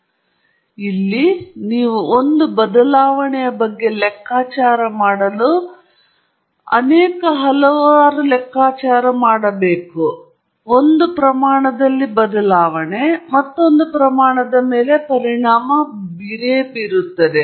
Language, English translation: Kannada, So, here you are doing some calculation to figure out how one change change in one quantity impacts another quantity